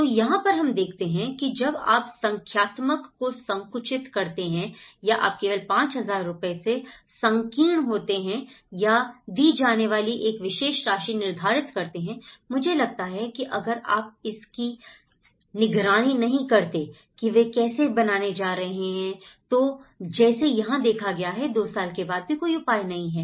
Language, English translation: Hindi, So, that is how, when you narrow down to numericals or you narrow down only to the 5000 rupees or a particular amount to be given, I think if you donít monitor it, how they are going to build up and after two years this is the case